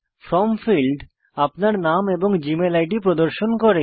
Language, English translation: Bengali, The From field, displays your name and the Gmail ID